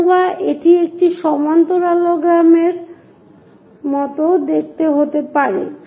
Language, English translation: Bengali, Similarly, a rectangle looks like a parallelogram